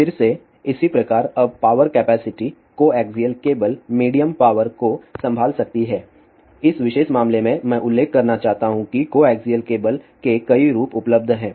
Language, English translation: Hindi, Similarly now, the power capacity coaxial cable can handle medium power again in this particular as I want to mention there are several variations of coaxial cables are available